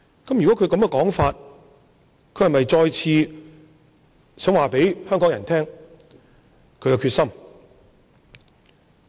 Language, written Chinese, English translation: Cantonese, 根據他這個說法，他是否想再次告訴香港人他的決心。, With these remarks does he want to spell out his determination to Hong Kong people again?